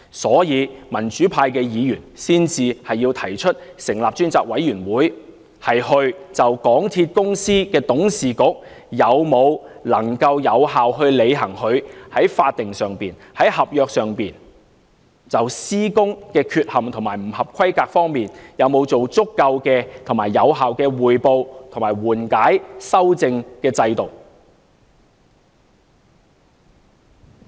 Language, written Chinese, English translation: Cantonese, 所以，民主派議員才提出成立專責委員會，就港鐵公司董事局能否有效履行其在法定及合約上、就施工缺陷及不合規格方面而言，是否有足夠和有效的匯報及緩解修正制度。, For this reason the pro - democracy Members have proposed the setting up of a select committee to examine if MTRCLs Board of Directors has effectively fulfilled its statutory and contractual responsibilities as well as whether the mechanisms for reporting mitigating and rectifying irregularities and non - compliant works are sufficient and effective